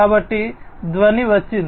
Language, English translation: Telugu, So, the sound came